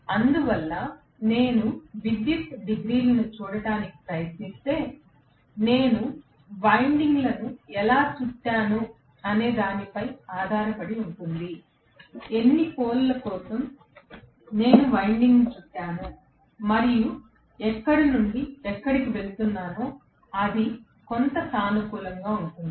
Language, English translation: Telugu, So, if I try to look at the electrical degrees that essentially depend upon how I have wound the windings, for how many poles I have wound the winding and from where to where it is going some positive to negative